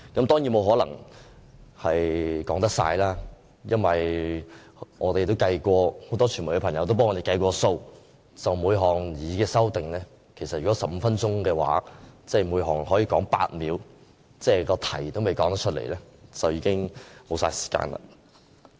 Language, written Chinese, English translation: Cantonese, 當然，我沒可能說完，因為我們和很多傳媒朋友也計算過，如果只有15分鐘，我們只可就每項擬議修訂說8秒，議題仍未說完便已經沒有時間了。, Of course I cannot finish my speech within this time span . As counted by us and many members of the press if only 15 minutes are allowed Members can simply speak on each proposed amendment for eight seconds and we have to stop before we can even finish bringing out the subject